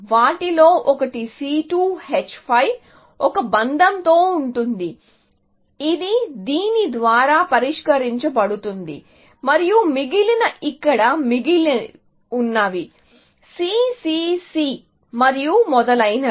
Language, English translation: Telugu, One of them will be the C2 H5 with a bond, which will be solved by this; and the remaining will be that; whatever remains here; C, C, C, and so on